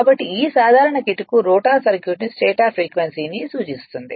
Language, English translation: Telugu, So, this simple trick refers to the rotor circuit to the stator frequency